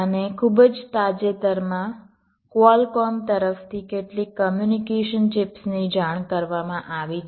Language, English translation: Gujarati, and very recently some communication chips from have been reported